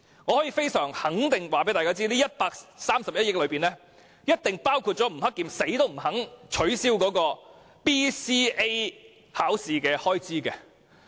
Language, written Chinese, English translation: Cantonese, 我非常肯定，這筆臨時撥款一定包括教育局局長吳克儉寧死也不肯取消的基本能力評估研究計劃的開支。, I am pretty sure that the funds on account include the expenditure for the Basic Competency Assessment BCA research scheme which Secretary for Education Eddie NG would rather die than scrap